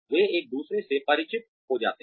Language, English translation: Hindi, They become familiar with each other